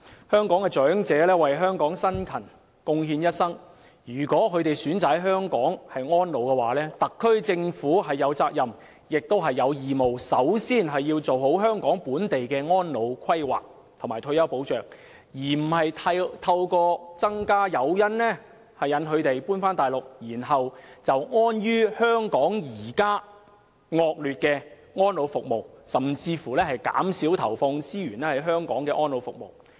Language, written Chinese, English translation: Cantonese, 香港長者為香港辛勤貢獻一生，他們有權選擇在香港安老，特區政府有責任及義務首先做好本地的安老規劃及退休保障，而不是提供更多誘因吸引他們遷往大陸，更不應安於香港現時惡劣的安老服務，甚至減少投放資源於香港安老服務上。, Elderly persons in Hong Kong have contributed to the territory with hard work throughout their younger years . They should be entitled to the option of staying in Hong Kong in their advanced years . It is the responsibility and duty of the Special Administrative Region SAR Government to put in place before anything else proper elderly care service planning and retirement protection but not to provide more incentives for them to relocate to the Mainland instead